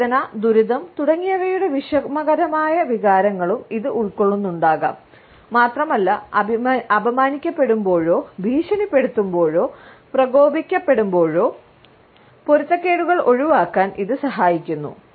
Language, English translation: Malayalam, It may also cover the difficult feelings and emotions of pain, distress, etcetera and also it helps us to avoid conflicts, when we have been insulted or threatened or otherwise provoked